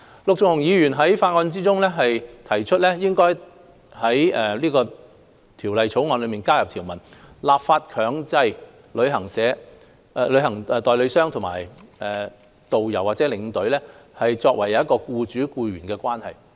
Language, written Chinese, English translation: Cantonese, 陸頌雄議員在法案委員會中提出，應在《條例草案》加入條文，立法強制旅行代理商與導遊或領隊為僱主僱員關係。, Mr LUK Chung - hung proposed at the Bills Committee to add a provision in the Bill to make it a mandatory requirement in the law for travel agents to enter into an employer - employee relationship with tourist guides and tour escorts